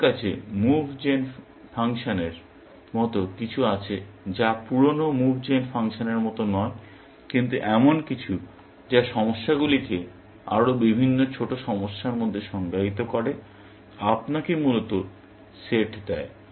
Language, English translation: Bengali, We have something like the move gen function, which is not like the old move gen function, but something, which defines the problems into different sub problems; gives you the set, essentially